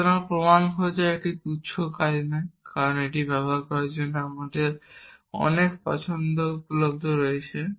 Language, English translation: Bengali, So, finding the proof is not the trivial task it is because there is a lot of choice available to you what to use and so on